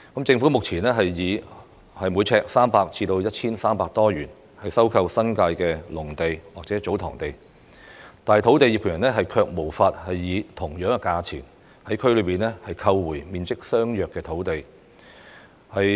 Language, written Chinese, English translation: Cantonese, 政府目前以每平方呎300元至 1,300 多元收購新界的農地或祖堂地，但土地業權人卻無法以同等價錢，在區內購回面積相若的土地。, The Government currently acquires farmland or TsoTong lands in the New Territories at a price between 300 and more than 1,300 per sq ft but the landowners cannot buy back land lot of similar size in the same district at the same price